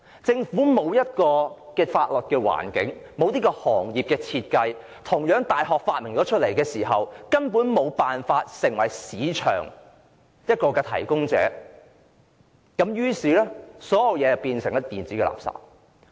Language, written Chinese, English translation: Cantonese, 政府沒有制訂法律框架，沒有行業設計，即使有大學研發出來，政府亦根本無法提供市場，於是變成電子垃圾。, The Government failed to formulate a statutory framework or draw up planning for the relevant industry . Even if it was developed by a university it nonetheless turned into electronic waste as the Government was utterly unable to provide a market